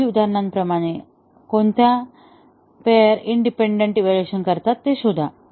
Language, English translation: Marathi, Just like the previous examples and find out which pairs achieve independent evaluation